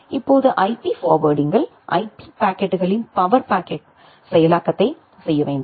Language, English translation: Tamil, Now, in IP forwarding we need to do a power packet processing of IP packets